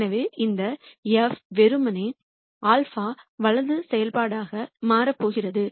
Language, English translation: Tamil, So, this f is going to simply become a function of alpha right